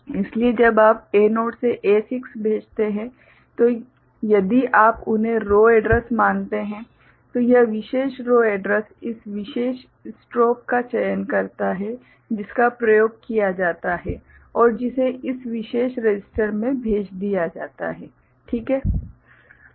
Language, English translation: Hindi, So, when you send A naught to A6, right, so if you consider them as a row address so, this particular row address select this particular strobe, is exercised and that is latched into this particular register